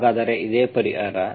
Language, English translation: Kannada, So this is what is the solution